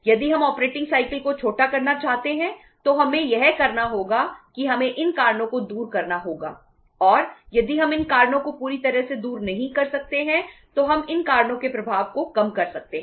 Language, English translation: Hindi, If we want to shorten the operating cycle what we have to do is that we have to remove these reasons and we will have to or if we cannot fully remove these reasons we can minimize the effect of these reasons